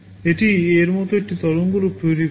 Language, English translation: Bengali, It will be generating a waveform like this